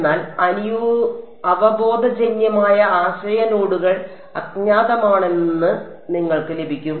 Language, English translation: Malayalam, But you get the intuitive idea nodes are the unknowns